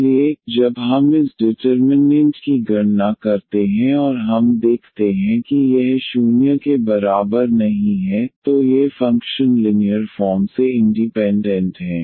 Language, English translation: Hindi, So, when we compute this determinant and we see that this is not equal to 0, then these functions are linearly independent